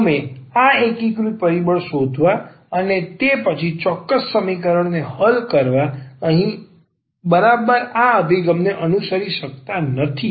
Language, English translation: Gujarati, So, we may not follow exactly this approach here finding this integrating factor and then solving the exact equation